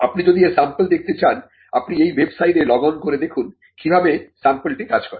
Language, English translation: Bengali, Now if you want to see a sample of this, you could just log on to this website and and see how a sample works